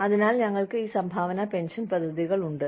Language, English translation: Malayalam, So, we have these contributory pension plans